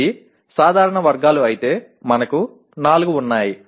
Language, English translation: Telugu, If it is general categories, we are having 4